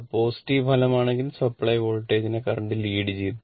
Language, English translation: Malayalam, And if it is positive resultant current reach the supply voltage right